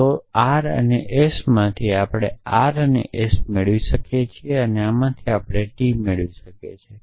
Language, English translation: Gujarati, So, from r and s, we can derive r and s and from this we can derive t